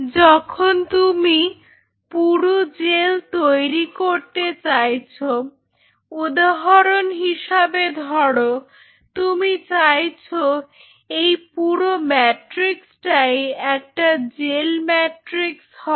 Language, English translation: Bengali, Second thing followed when you wanted to make a thick gel say for example, you want it the whole matrix to be a gel matrix